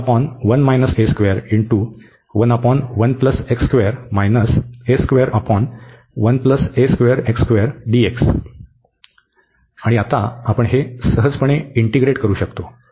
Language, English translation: Marathi, And now we can easily integrate this